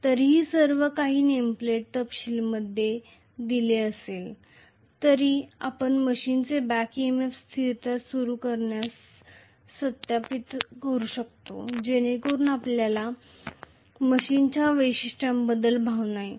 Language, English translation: Marathi, Although everything is given in nameplate details nevertheless, we would also like to verify the back EMF constant of a machine to start with so that you get a feel for the characteristic of the machine, right